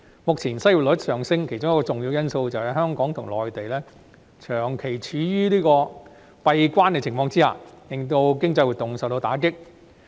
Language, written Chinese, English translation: Cantonese, 目前失業率上升，其中一個重要因素是，香港和內地長期處於"閉關"的狀態，令經濟活動大受打擊。, One of the major factors leading to the current rise in the unemployment rate is that the border between Hong Kong and the Mainland has been closed for a long time which has greatly affected our economic activities